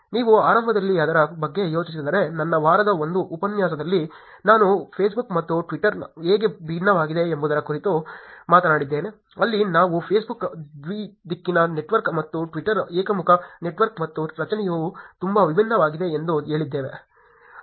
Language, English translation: Kannada, If you think about it initially I talked about how Facebook and twitter are different in my week 1 lecture, where we said that Facebook is a bi directional network and twitter is a unidirectional network and the structure itself is very different